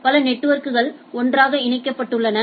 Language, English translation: Tamil, So, there are several networks which are connected together